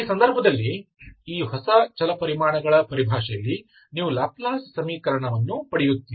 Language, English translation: Kannada, In this case, in terms of these new variables, you get Laplace equation